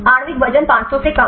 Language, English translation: Hindi, Molecular weight less than 500